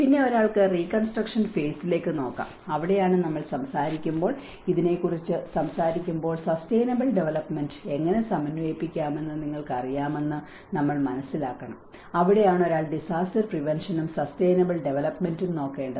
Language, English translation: Malayalam, And one can look at the reconstruction phase, and that is where when we talk about, when we are talking about this, we have to understand that you know how we can integrate the sustainable development and that is where one has to look at the disaster prevention and the sustainable development